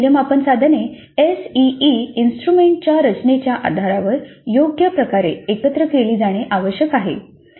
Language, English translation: Marathi, Now these assessment items must be combined suitably based on the structure of the SEE instrument